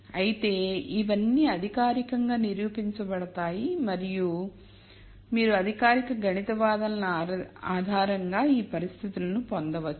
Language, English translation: Telugu, However, all of this can be formally proved and you can derive these conditions based on formal mathematical arguments